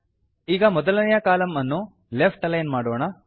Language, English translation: Kannada, Let us make the first column left aligned